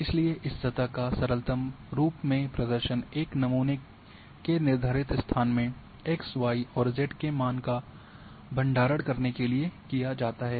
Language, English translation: Hindi, Hence this surface representation in it’s simplest form is done by a storing x y and z value in the defined location of a sample